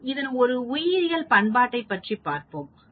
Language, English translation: Tamil, Let us go further, let us look at a biological application